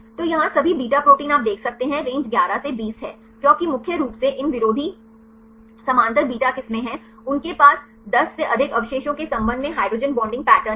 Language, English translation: Hindi, So, here all beta proteins you can see the range is 11 to 20, because mainly these anti parallel beta strands, they have the hydrogen bonding pattern with respect to more than 10 residues